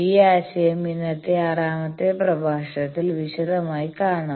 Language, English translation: Malayalam, Now this concept we will see in this today's 6th lecture in detail